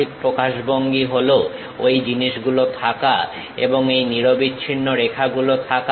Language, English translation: Bengali, The right representation is having those thing and also having these continuous lines